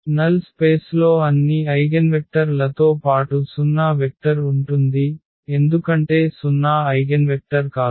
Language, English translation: Telugu, In the null space carries all the eigenvectors plus the 0 vector because the 0 is not the eigenvector